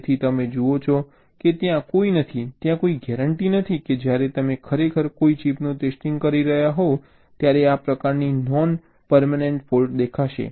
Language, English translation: Gujarati, so you see, there is no, there is no guarantee that when you are actually testing a chip this kind of non permanent fault will show up